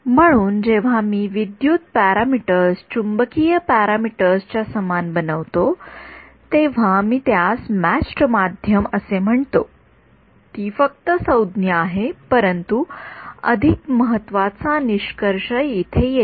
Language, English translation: Marathi, So, when I make the electrical parameters equal to the magnetic parameters, I call it matched medium that is just terminology, but the more important conclusion comes over here ok